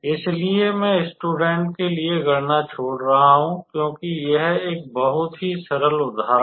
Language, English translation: Hindi, So, I am leaving the calculation up to the students, because it is a very simple example